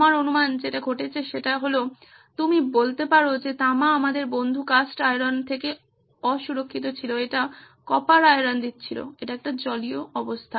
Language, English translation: Bengali, I guess this is what is happening is that when you have copper say unprotected by our friend the cast iron it was giving of copper iron, copper ions are a water form